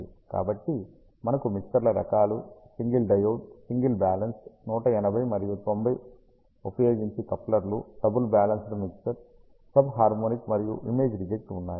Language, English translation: Telugu, So, we have mixer types single diode, single balanced, using 180 and 90 degree couplers, double balanced mixer, sub harmonic, and image reject